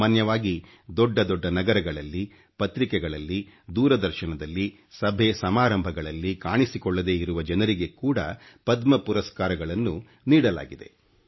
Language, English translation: Kannada, You may have noticed that many ordinary people not visible in big cities, in newspapers or on TV are being awarded with Padma citations